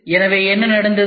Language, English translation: Tamil, So, What has happened